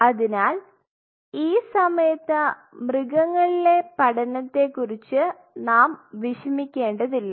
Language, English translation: Malayalam, So, we do not have to worry about the animal studies at this time